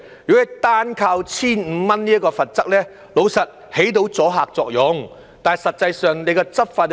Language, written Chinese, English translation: Cantonese, 如果單靠 1,500 元這項罰則，老實說，是可以起到阻嚇作用的，但實際執法又如何？, If we rely solely on the penalty of 1,500 frankly speaking it may have deterrent effect but what about the actual law enforcement?